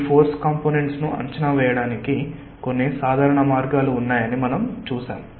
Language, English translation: Telugu, we have seen that, ah, there are some simple ways by which we can evaluate these force components